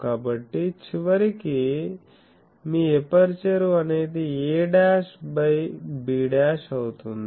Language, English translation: Telugu, So, ultimately your aperture is a dashed by b dash